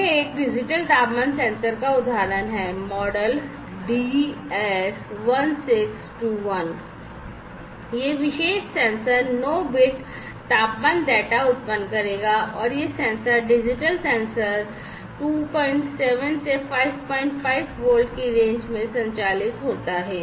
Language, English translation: Hindi, So, this is an example of a digital temperature sensor, the model is DS1621 and this particular sensor will generate 9 bits of temperature data 9 bits of temperature data this one and this sensor digital sensor operates in the range 2